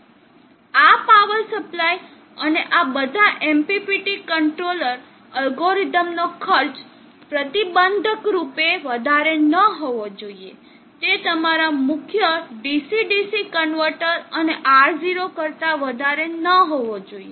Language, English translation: Gujarati, The cost of this power supply and all these MPPT controller algorithm should not be prohibitively high, should not be much higher than your main DC DC converter and R0